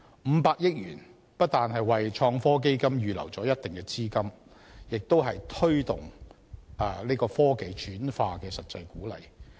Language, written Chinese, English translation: Cantonese, 五百億元不但為創科基金預留了一定資金，亦有推動科技轉化的實際鼓勵。, The 50 billion will serve as not only certain funding earmarked for the Innovation and Technology Fund but also an actual incentive to promote transfer of technology